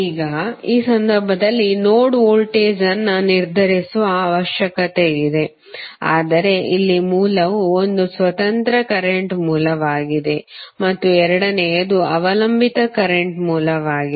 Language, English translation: Kannada, Now, let us take one another example in this case the node voltage needs to be determine but here the source is one is independent current source and second is the dependent current source